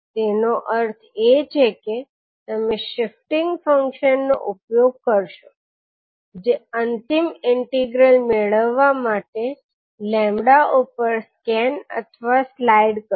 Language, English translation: Gujarati, So it means that you will utilise the shifting function which will scan or slide over the x lambda to get the final integral